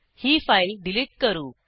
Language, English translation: Marathi, Now let us delete this file